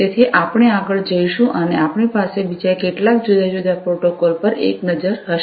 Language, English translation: Gujarati, So, we will go further and we will have a look at few other different protocols